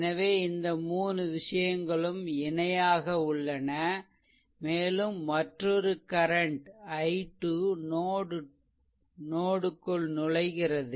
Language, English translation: Tamil, So, these 3 things are in parallel and another current i 2 is also entering into the node